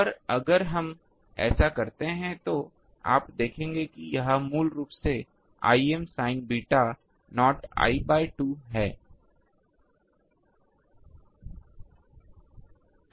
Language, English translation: Hindi, And, if we do that you will see that it is basically becoming I m sin beta naught l by 2